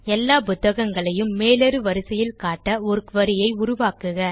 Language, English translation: Tamil, Create a query that will list all the Books in ascending order